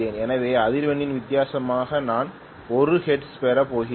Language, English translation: Tamil, So I am going to get 1hertz as the difference in the frequency